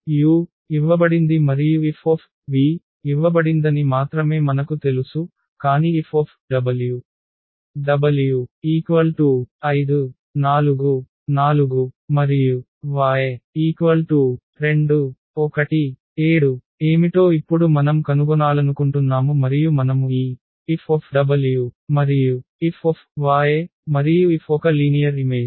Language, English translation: Telugu, We know only that F u is given and F v is given, but we want to find now what will be the F w the w vector is given as 5 4 4 and this y is given as 2 1 7 and we want to find this F w and F y and F is a linear map